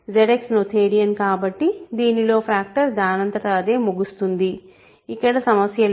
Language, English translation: Telugu, In ZX because its noetherian factoring terminates automatically, there is no problem